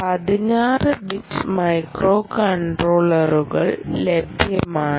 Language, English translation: Malayalam, then you have sixteen bit microcontrollers